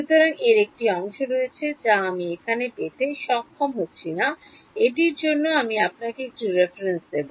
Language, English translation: Bengali, So, there is a part of this which I am not going to be able to derive over here its I will give you a reference for it